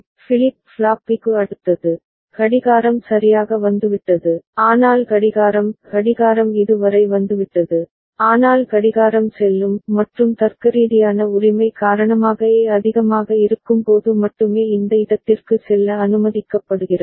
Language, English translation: Tamil, Next for flip flop B, clock has come right, but clock will clock has come up to this, but clock will go is allowed to go to this place only when A is high because of the AND logic right